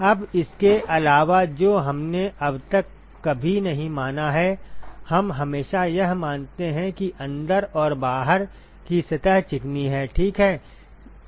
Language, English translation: Hindi, Now, in addition to that what we never considered so far is we always assume that the inside and the outside surfaces are smooth, ok